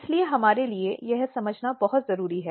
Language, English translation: Hindi, So, this is very important for us to understand